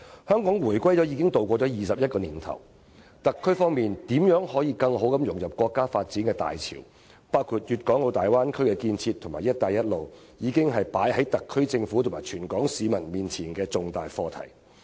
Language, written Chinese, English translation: Cantonese, 香港回歸後已度過21年，特區如何更好地融入國家發展大潮，包括粵港澳大灣區建設和"一帶一路"，已成為擺在特區政府和全港市民面前的重大課題。, The question of how the SAR can better integrate into the countrys wave of development which includes the development of the Guangdong - Hong Kong - Macao Bay Area and the Belt and Road Initiative has become a major issue facing the SAR Government and all Hong Kong people